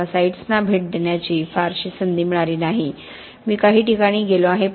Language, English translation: Marathi, I have not had much opportunity to visit sites, I have been on a few